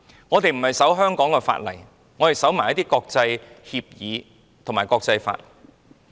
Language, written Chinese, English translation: Cantonese, 我們不單遵守香港法例，也遵守國際協議及國際法。, We not only abide by the laws of Hong Kong but also comply with international agreements and international law